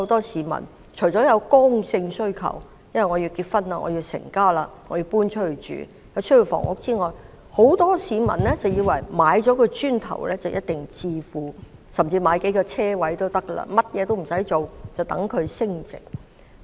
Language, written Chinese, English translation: Cantonese, 市民除了有剛性需求——要結婚成家——需要置業外，也有很多市民以為買了"磚頭"或買數個泊車位便一定能致富，甚麼也不用做，就等它們升值。, Members of the public have solid demands―such as getting married to form a new family―for home ownership . Apart from that many people believe that buying bricks and mortar or several parking spaces will certainly create wealth . They do not have to do anything but wait for such assets to appreciate